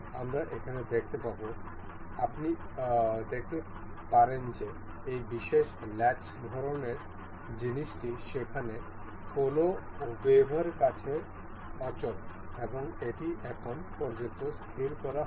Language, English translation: Bengali, We will see here, the you can see this particular latch kind of thing is movable to any web there and it is not fixed that of as of now